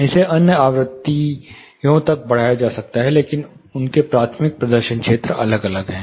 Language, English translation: Hindi, It can be stretched out to other frequencies, but their primary performance areas are different